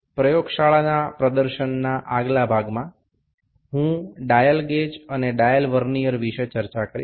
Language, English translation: Gujarati, In the next part of lab demonstration, I will discuss about the dial gauge and the dial Vernier